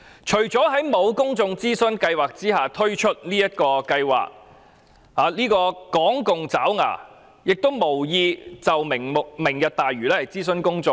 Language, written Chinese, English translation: Cantonese, 除政府未有諮詢公眾便推出這個計劃外，港共爪牙亦無意就"明日大嶼"諮詢公眾。, Apart from the Governments launching of this project without consulting the public the lackeys of the Hong Kong communists have no intention of consulting the public on Lantau Tomorrow